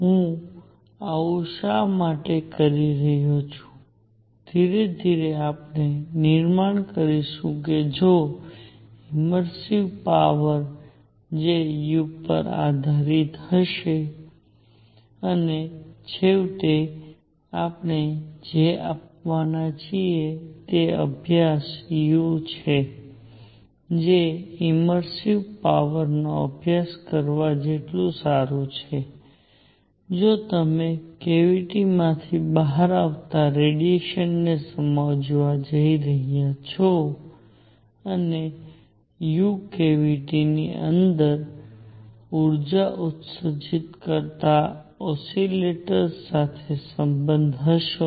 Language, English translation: Gujarati, Why I am doing that is; slowly we will build up that the immersive power which will depend on u, and finally what we are going come is study u that is as good as studying the immersive power if you are going to understand the radiation coming out the cavity and u would be related to oscillators that are emitting energy inside the cavity